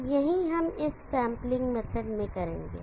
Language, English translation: Hindi, So this is called current sampling method